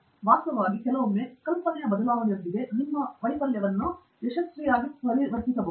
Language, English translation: Kannada, In fact, sometimes with just change of idea, you can convert your failure to a success